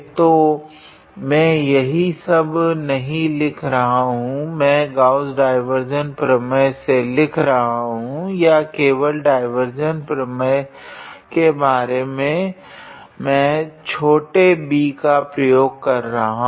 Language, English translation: Hindi, So, I am not writing all those things; I am just writing by Gauss divergence theorem or simply by divergence theorem sometimes I am using small d